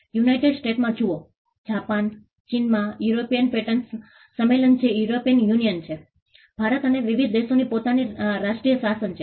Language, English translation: Gujarati, See in the United States, in Japan, China, the European patent convention which is the European Union, India and different countries have their own national regimes